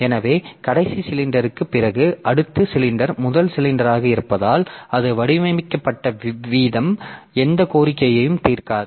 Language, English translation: Tamil, So, after the last cylinder the the next cylinder scene is the first cylinder as a because the way it is designed so the head does not serve any request